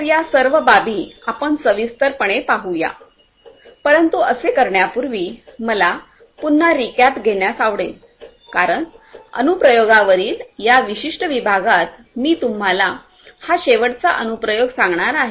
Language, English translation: Marathi, So, let us look at these issues in detail, but before we do that I would like to have a recap because this is going to be the last application that I am going to expose you to in this particular section on applications